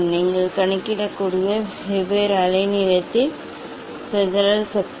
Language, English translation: Tamil, dispersive power at different wavelength you can calculate